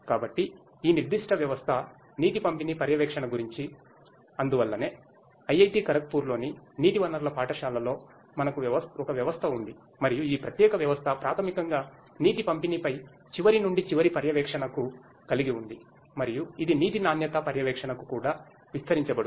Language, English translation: Telugu, So, this specific system is about water distribution monitoring and so, we have a system in the school of water resources in IIT Kharagpur and this particular system basically has end to end monitoring of water distribution and it would be also extended for water quality monitoring